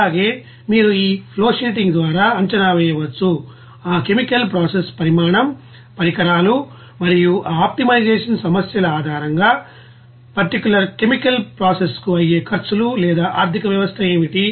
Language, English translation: Telugu, And also, you can assess by this flow sheeting, what is the size of that you know chemical process, equipment and also what are the costs or economy for that particular chemical process based on that optimization problems